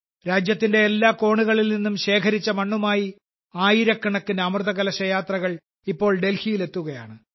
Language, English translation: Malayalam, This soil collected from every corner of the country, these thousands of Amrit Kalash Yatras are now reaching Delhi